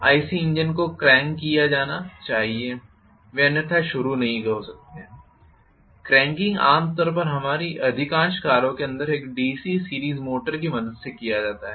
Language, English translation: Hindi, IC engines have to be cranked up, they cannot start otherwise, the cranking up is normally done with the help of a DC series motor inside most of our cars